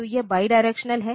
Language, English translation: Hindi, So, this is bidirectional